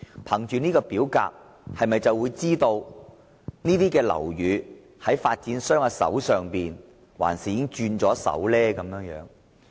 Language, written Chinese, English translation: Cantonese, 根據這份表格，大家便會知道有關樓宇仍由發展商持有抑或已經易手。, We would know from this form if the relevant building is still owned by the developer or has changed hands